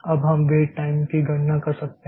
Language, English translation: Hindi, Now you can calculate the weight times